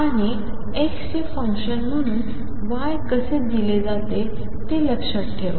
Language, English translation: Marathi, And remember how y is given as a function of x